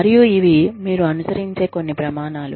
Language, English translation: Telugu, And, these are some of the standards, that you follow